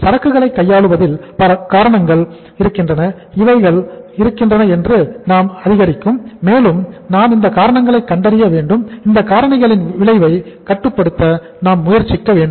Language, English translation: Tamil, So these are some of the reasons why the inventory takes place, picks up and we have to visualize these reasons and we have to try to control the effect of these reasons